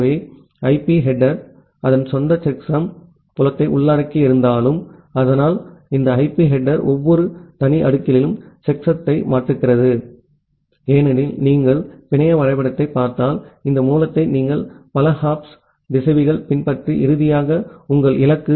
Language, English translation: Tamil, So, although IP header includes its own checksum field, but this IP header changes the checksum at every individual layer, because if you look into the network diagram you have this source followed by multiple hops routers and then finally, is your destination